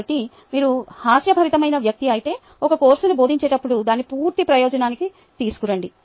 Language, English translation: Telugu, so if you are a, if you are a humorous person, bring it to the full advantage while teaching a course, then this one is important